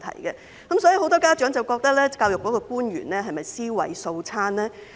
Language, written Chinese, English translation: Cantonese, 因此，很多家長也質疑教育局的官員尸位素餐。, As such many parents have questioned if EDB officials are feasting at the public crib